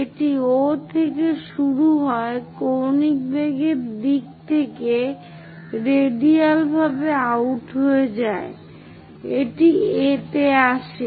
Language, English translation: Bengali, It begins at O goes in angular velocity direction radially out finally, it comes to A